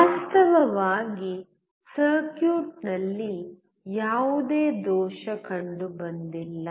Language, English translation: Kannada, Actually there was no error in the circuit